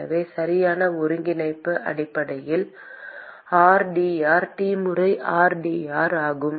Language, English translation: Tamil, So, the correct integral is essentially rdr T times rdr